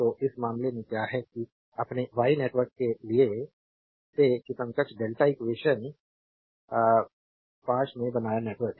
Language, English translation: Hindi, So, in that case what we do that from for your Y network, that equivalent delta network we made from equation 45, 46 and 47 loop